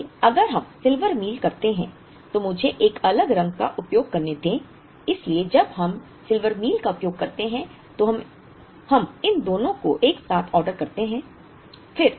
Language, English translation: Hindi, So, if we do Silver Meal, let me use a different color, so when we use Silver Meal we order these two together